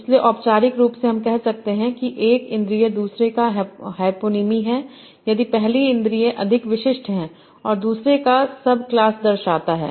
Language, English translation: Hindi, So, formally we say one sense is a hyponym of another if the first sense is more specific and it denotes a subclass of the other